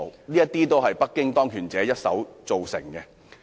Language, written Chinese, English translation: Cantonese, 這些都是北京當權者一手造成的。, The powers that be in Beijing are solely to blame for all these